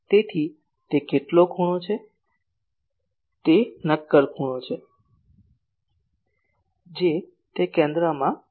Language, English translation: Gujarati, So, how much angle it is solid angle it is putting at the centre